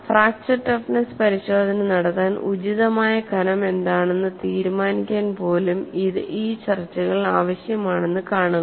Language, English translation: Malayalam, See, these discussions are needed even to decide, what is the appropriate thickness to conduct fracture toughness testing